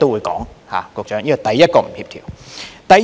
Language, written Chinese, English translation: Cantonese, 局長，這是第一個不協調。, Secretary this is the first incongruity